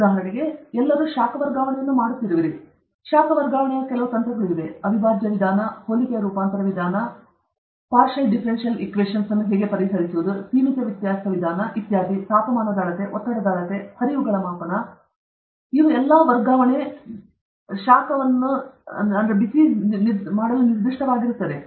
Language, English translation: Kannada, For example, all of you are doing heat transfer; there are certain techniques which are in heat transfer the integral method, similarity transformation method okay, how to solve partial differential equations, finite difference method okay, measurement of temperature, measurement of pressure, measurement of flowrate also, these are all, I mean, these are all specific to heat transfer